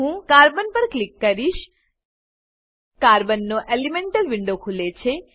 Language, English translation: Gujarati, I will click on Carbon Elemental window of Carbon opens